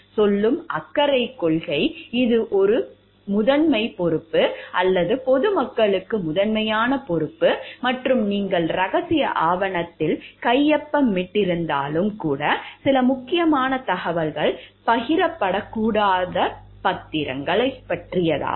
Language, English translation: Tamil, Caring principle which will tell; like it is a primary responsibility or primary responsible to the public at large and even if you have sign the confidentiality document, a bond where there are certain sensitive information which is not to be shared